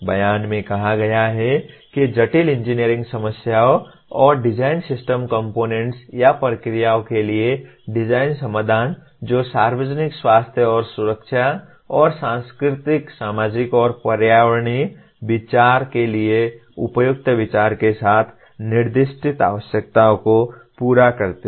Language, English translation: Hindi, The statement says design solutions for complex engineering problems and design system components or processes that meet the specified needs with appropriate consideration for the public health and safety and the cultural societal and environmental consideration